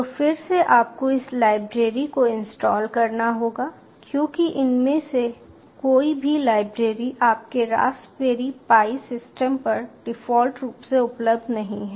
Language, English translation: Hindi, so again, you will need to install this library, because none of these libraries are by default available on your raspberry pi system